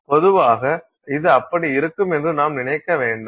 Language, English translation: Tamil, Normally you would not think this to be the case